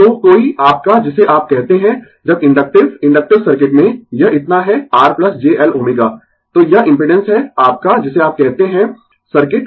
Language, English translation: Hindi, So, any your what you call when inductive in inductive circuit, it is so R plus j L omega right, so this is the impedance of the your what you call the circuit